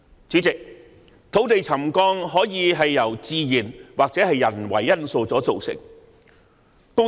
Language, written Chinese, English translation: Cantonese, 主席，土地沉降可以是由自然或人為因素所造成。, President land settlement is attributable to natural or human causes